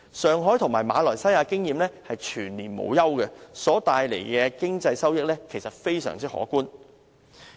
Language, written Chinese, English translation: Cantonese, 上海和馬來西亞賽車場的經驗是全年無休，所帶來的經濟收益實在非常可觀。, Experience in Shanghai and Malaysia shows that motor racing circuits are never laid idle during the year and they produce huge economic returns